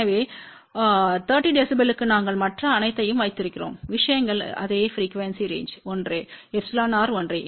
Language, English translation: Tamil, So, for 30 db we have kept all the other things same frequency range is same epsilon r is same